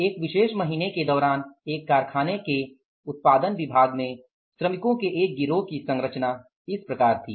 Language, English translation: Hindi, The composition of a gang of workers in one of the production departments in a factory during a particular month was as follows